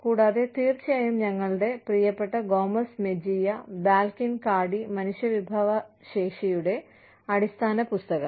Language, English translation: Malayalam, And, of course our favorite, Gomez Mejia, Balkin, and Cardy, the basic human resources book